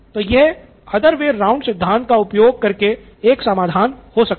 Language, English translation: Hindi, So this is one solution from the other way round principle